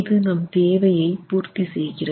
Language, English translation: Tamil, So this satisfies the requirement